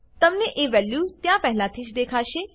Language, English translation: Gujarati, You will see a value already there